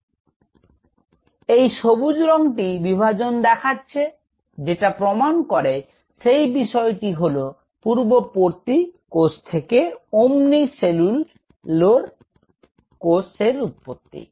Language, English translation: Bengali, So, this green is showing the dividing which is proving the point omni cellule cell arising from pre existing cells